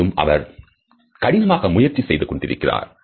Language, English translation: Tamil, And he is trying very hard